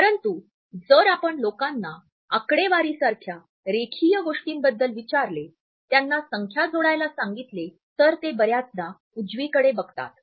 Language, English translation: Marathi, But if you ask people about linear things like data statistics ask them to add up numbers they will quite often look up and to the right